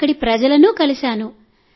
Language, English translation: Telugu, I met people there